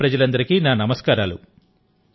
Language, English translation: Telugu, And my salutations to all the people of Modhera